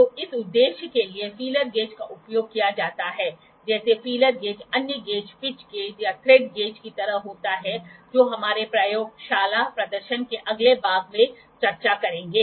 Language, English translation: Hindi, So, this is the purpose the feeler gauge is used, the like feeler gauge the other gauge is like pitch gauge pitch gauge, or thread gauge that will discuss for the in the next part of our laboratory demonstration